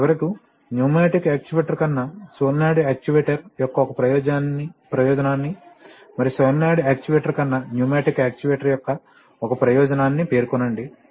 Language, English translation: Telugu, And finally mention one advantage of a solenoid actuator over a pneumatic actuator and one advantage of a pneumatic actuator over a solenoid actuator